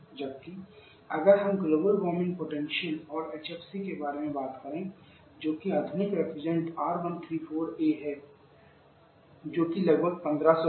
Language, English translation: Hindi, It will cause compared to carbon dioxide whereas, if we talk about Global Warming potential of HFC which is the modern reference is R134a which is about 1500